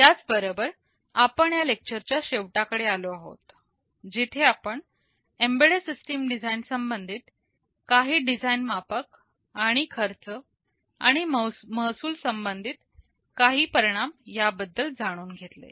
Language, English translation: Marathi, With this we come to the end of this lecture where we talked about some of the design metrics that are relevant in embedded system design, and some of the implications with respect to the cost and revenue